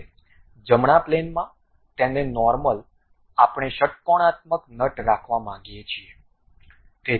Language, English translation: Gujarati, Now, on the right plane normal to that we want to have a hexagonal nut